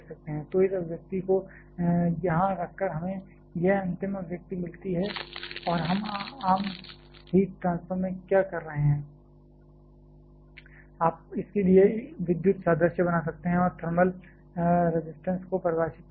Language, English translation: Hindi, So, putting this expression here we get this final expression and we can like, what we are doing in common heat transfer you can draw electrical analogy to this and define a thermal resistance